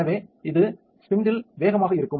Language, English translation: Tamil, So, it is faster on the spindle